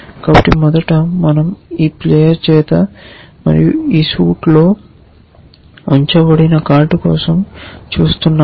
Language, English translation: Telugu, So, first of course, we are looking for a card being held by this player and in this suit